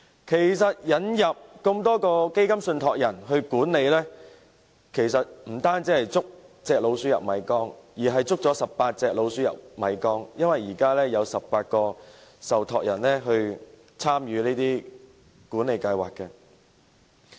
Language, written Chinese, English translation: Cantonese, 其實，當局引入這麼多個基金信託人來管理，不單是"捉隻老鼠入米缸"，而是捉了18隻老鼠入米缸，因為現時有18個受託人參與管理計劃。, In fact when the authorities have brought in so many MPF trustees to manage the schemes they are not only catching a rat and putting it into the rice urn but they are catching 18 rats and putting them into the rice urn because currently 18 trustees are engaged in the management of schemes